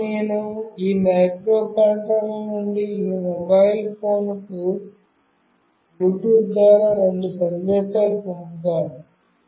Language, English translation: Telugu, Now, I will send two messages through Bluetooth from this microcontroller to this mobile